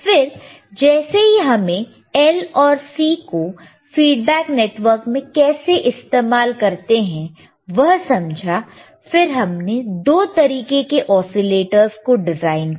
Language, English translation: Hindi, Then once we understood how the L and C couldan be used as a feedback network, we have designed 2 types of oscillators,